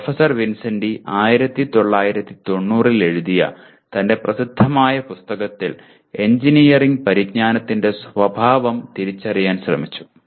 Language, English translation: Malayalam, Professor Vincenti attempted to identify the nature of engineering knowledge in his famous book written back in 1990